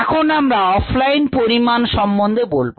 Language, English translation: Bengali, let us look at off line measurements